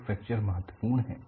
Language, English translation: Hindi, So, fracture is important